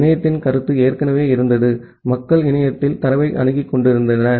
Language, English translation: Tamil, And the notion of internet was already there, people were accessing data over the internet